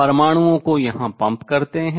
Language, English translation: Hindi, So, that lot of atoms comes here